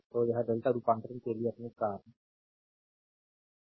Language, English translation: Hindi, So, this is your start to delta conversion right